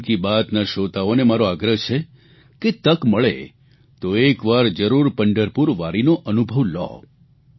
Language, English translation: Gujarati, I request the listeners of "Mann Ki Baat" to visit Pandharpur Wari at least once, whenever they get a chance